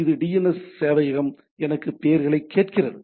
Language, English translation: Tamil, It is asking the DNS server give me the names